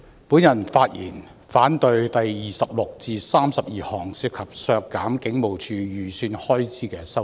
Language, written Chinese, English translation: Cantonese, 主席，我發言反對第26項至第32項涉及削減香港警務處預算開支的修正案。, Chairman I speak to oppose Amendment Nos . 26 to 32 which involve the reduction of the estimated expenditure of the Hong Kong Police Force HKPF